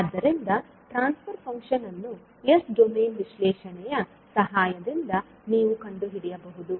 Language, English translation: Kannada, So, the transfer function you can find out with the help of the s domain analysis